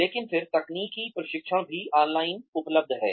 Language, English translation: Hindi, But then, technical training is also available online